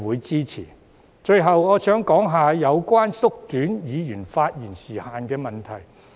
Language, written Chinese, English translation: Cantonese, 最後，我想談談有關縮短議員發言時限的問題。, Finally I want to discuss the proposal on reducing Members speaking time limit